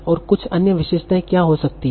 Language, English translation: Hindi, What can be some other features